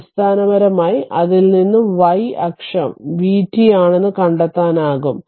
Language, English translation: Malayalam, So, basically from that you can find out actually y axis is v t